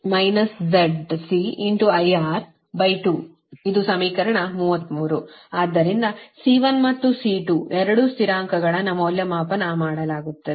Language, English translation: Kannada, so c one and c two, both the constants are evaluated right